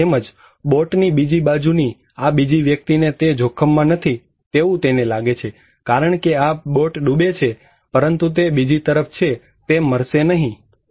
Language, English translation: Gujarati, Like this one, I told maybe many times that this other person on the other side of the boat is considered that he is not at risk because this boat is sinking but he is in other side, he is not going to die